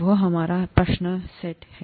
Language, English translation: Hindi, That’s our set question